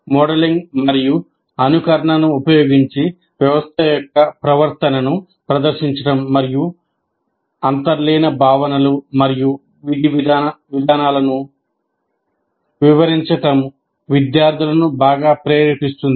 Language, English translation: Telugu, Demonstration of behavior of the system using simulation before modeling and explaining the underlying concepts and procedures is greatly motivating the students